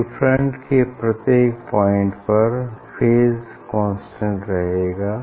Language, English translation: Hindi, phase will remain constant at all points on a wave front